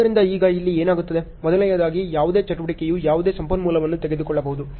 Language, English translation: Kannada, So, now, what happens here, in the first case any activity can take any resource